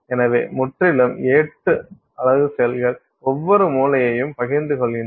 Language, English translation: Tamil, So, totally eight unit cells share each corner